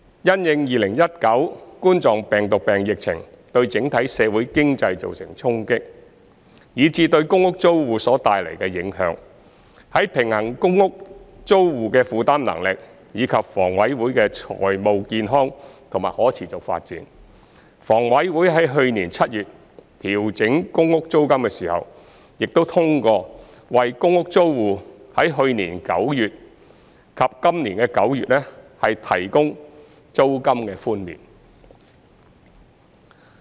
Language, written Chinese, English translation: Cantonese, 因應2019冠狀病毒病疫情對整體社會經濟造成衝擊，以至對公屋租戶所帶來的影響，在平衡公屋租戶的負擔能力，以及房委會的財務健康和可持續發展後，房委會在去年7月調整公屋租金時，亦通過為公屋租戶在去年9月及今年9月提供租金寬免。, In view of the impact of the COVID - 19 epidemic on the overall socio - economic environment and PRH tenants after striking a balance between the PRH tenants affordability and the healthy and sustainable development of HAs finances HA approved the provision of the rent waiver to PRH tenants in September last year and September this year when it adjusted the PRH rent in July last year